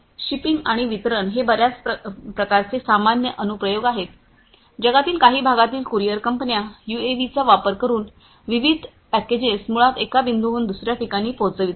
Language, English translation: Marathi, Shipping and delivery this is quite common lot of different applications, you know courier companies in certain parts of the world, they are using the UAVs to basically deliver different packages from one point to another